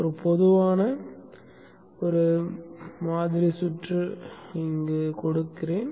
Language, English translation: Tamil, So let me just give one typical sample circuit